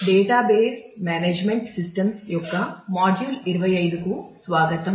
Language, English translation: Telugu, Welcome to module 25 of Database Management Systems